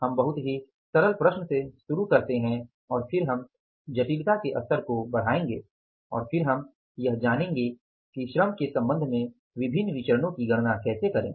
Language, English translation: Hindi, We start with the very simple problem and then we will move to the, means increase the level of complexity and then we will learn about how to calculate different variances with regard to the labour